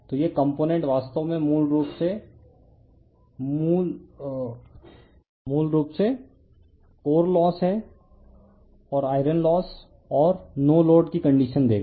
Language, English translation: Hindi, So, this component actually basically it will give your core loss or iron loss and the no load condition right